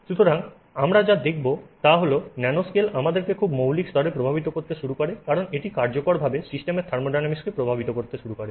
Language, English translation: Bengali, So, and what we will see is that the nanoscale starts impacting us at a very more very fundamental level because it effectively starts impacting the thermodynamics of the system itself